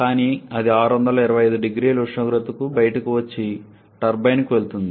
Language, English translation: Telugu, But it comes out to the temperature of 625 0C and proceeds to the turbine